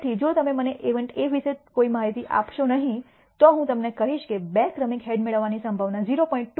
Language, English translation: Gujarati, So, if you do not give me any information about event A, I will tell you that the probability of receiving two successive heads is 0